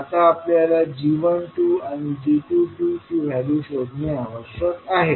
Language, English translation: Marathi, Now we need to find out the value of g12 and g22